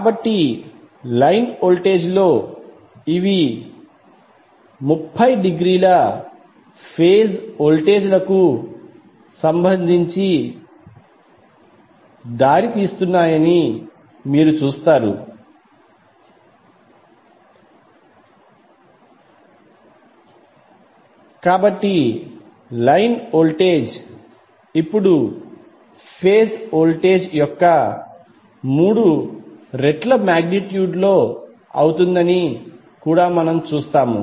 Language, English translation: Telugu, So in the line voltage you will see that these are leading with respect to their phase voltages by 30 degree, so we also see that the line voltage is now root 3 times of the phase voltage in magnitude